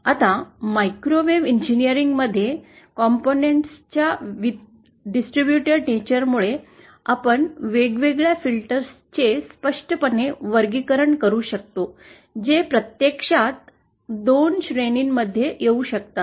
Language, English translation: Marathi, Now, in microwave engineering, because of the distributed nature of the components, it some weekend we can clearly classify the various filters that can be realised into 2 categories